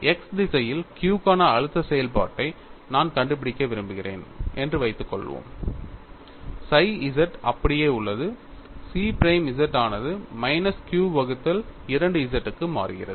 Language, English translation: Tamil, Suppose I want to find out stress function for q in the x direction, psi z remains same chi prime z changes to minus q by 2 z